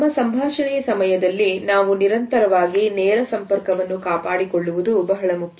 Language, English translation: Kannada, During our conversation it is important that we maintain continuously a direct eye contact